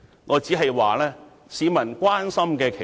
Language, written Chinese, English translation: Cantonese, 我只是說，這才是市民所關心的事。, I am just saying that this is what the public is concerned about